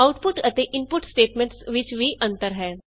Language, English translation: Punjabi, Also there is a difference in output and input statements